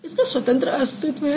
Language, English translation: Hindi, Because it can stand independently